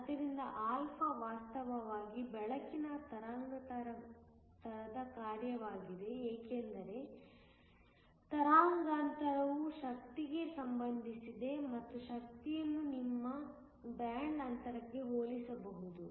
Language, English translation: Kannada, So that α is actually a function of the wavelength of light, because wavelength relates to energy and the energy can be compared to your band gap